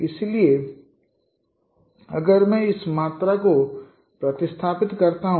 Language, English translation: Hindi, So if I replace this quantity, so let me show you the derivation